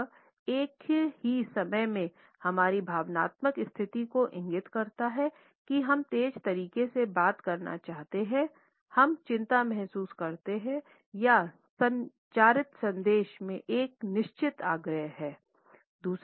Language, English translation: Hindi, It, at the same time, indicates our emotional state to we tend to speak in a fast manner if we feel anxiety or there is a certain urgency in the communicated message